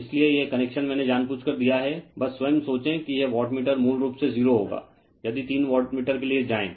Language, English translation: Hindi, So, this connection I have given intentionally just you think yourself that this wattmeter will it basically, 0 if you go for a three wattmeter